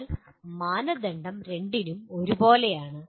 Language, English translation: Malayalam, But the criteria remain the same for both